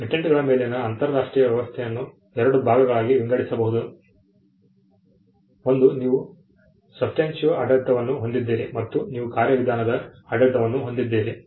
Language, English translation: Kannada, The international system on patents can be divided into two; one you have the substantive regime and you have the procedural regime